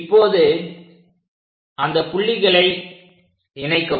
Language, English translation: Tamil, Now, join these points